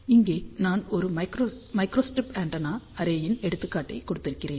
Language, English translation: Tamil, Here I have given an example of a microstrip antenna array